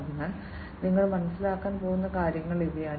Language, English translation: Malayalam, So, these are the things that you are going to get an understanding about